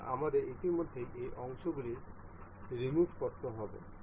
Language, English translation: Bengali, So, we have to remove these already these parts